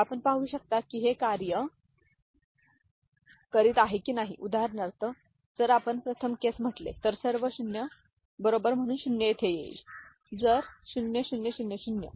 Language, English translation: Marathi, You can see that whether this is working for example, if you say first case, so all 0, right, so 0 comes over here, right, so the 0 0 0 0